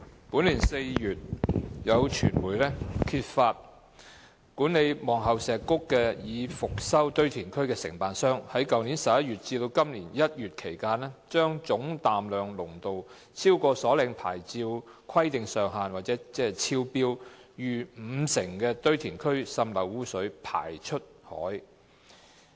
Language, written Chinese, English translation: Cantonese, 本年4月，有傳媒揭發管理望后石谷已復修堆填區的承辦商在去年11月至今年1月期間，把總氮量濃度超出所領牌照規定上限逾五成的堆填區滲濾污水排放出海。, In April this year the media uncovered that the contractor managing the Pillar Point Valley Restored Landfill PPVRL had during the period between November last year and January this year discharged into the sea leachate arising from PPVRL which had a total nitrogen concentration TNC exceeding by more than 50 % the limit stipulated in the licence granted to the contractor